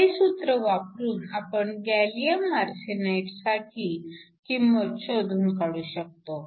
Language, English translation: Marathi, We can basically use this expression to calculate the value for gallium arsenide